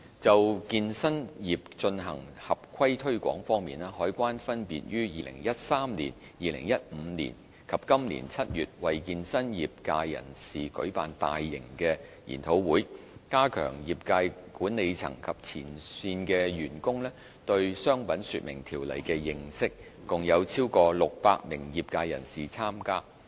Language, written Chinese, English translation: Cantonese, 就健身業進行合規推廣方面，海關分別於2013年、2015年及今年7月為健身業界人士舉辦大型研討會，加強業界管理層及前線員工對《商品說明條例》的認識，共有超過600名業界人士參加。, In promoting compliance among the fitness industry CED conducted large - scale seminars in 2013 2015 and July this year with a view to strengthening understanding of the Trade Descriptions Ordinance by the management and frontline staff of the industry . Over 600 industry participants attended the seminars